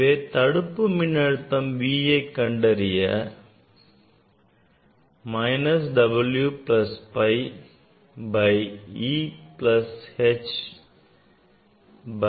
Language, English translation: Tamil, we can find out v equal to stopping potential equal to minus W plus phi by e plus h by e nu